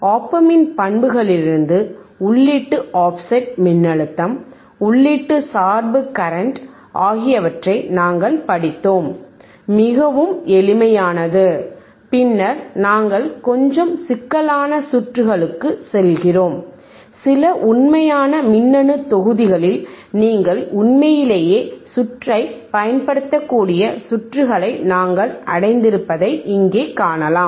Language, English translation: Tamil, We have studied just from characteristics of op amp, just input offset voltage, input bias current, very simple right and then we move to little bit complex circuits and here you see that we have reached to the circuits where you can really use the circuit in some actual electronic module